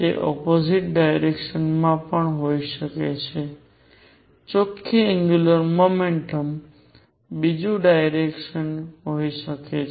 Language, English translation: Gujarati, It could also be in the opposite direction the net angular momentum could be the other direction